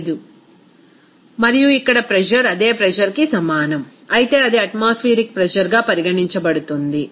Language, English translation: Telugu, 15 and then pressure is here the same pressure, it is considered the pressure that is atmospheric pressure